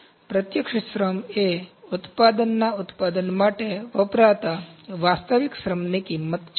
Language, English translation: Gujarati, So, direct labour cost is cost of actual labour used to produce the product